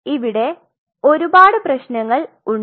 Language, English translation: Malayalam, So, there are several problems